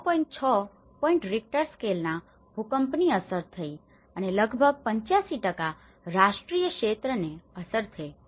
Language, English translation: Gujarati, 6 points Richter scale earthquake has been hitted and about 85% of the national territory has been under impact